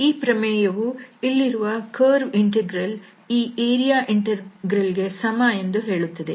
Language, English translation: Kannada, So, this is the result here now that this curve integral can be written as this area integral